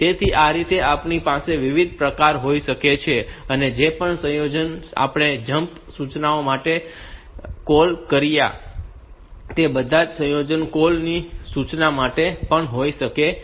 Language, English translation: Gujarati, So, this way we can have different variants whatever combinations we have called for jump instruction all those combinations can be there for the call instruction as well